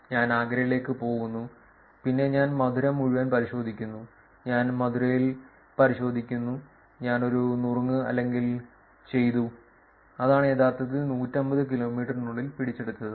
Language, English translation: Malayalam, So, I probably from Delhi I go to Agra, and then I do it check in all Mathura, I do check in Mathura, I do a tip or a done, that is what is actually capturing within 150 kilometers